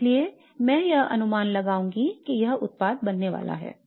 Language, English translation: Hindi, Therefore I would predict that this is going to be the product that is formed